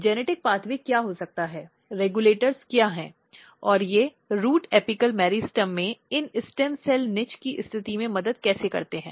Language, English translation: Hindi, What could be the genetic pathway, what are the regulators, and what are the regulators, and how they helps in positioning these stem cell niche in the root apical meristem